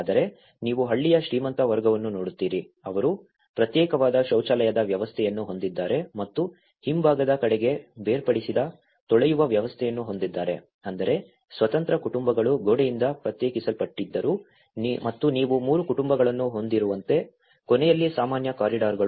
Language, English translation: Kannada, But you look at it the wealthy class of the village, they have a detached toilet system and detached washing systems towards the rear side so which means though the independent families are segregated by wall and the common corridors at the end like you have the 3 families living like this but they have a common toilet